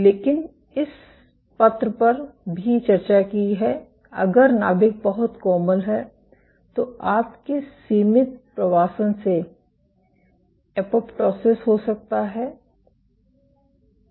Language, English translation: Hindi, Ok, but we have also discussed this paper, but if the nucleus is too soft your confined migration can lead to apoptosis